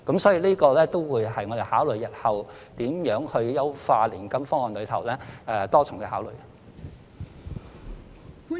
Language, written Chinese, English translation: Cantonese, 所以，這也會納入我們日後如何優化年金方案的多重考慮。, Therefore this will also be taken into account in our multiple considerations on how to improve the annuity scheme in the future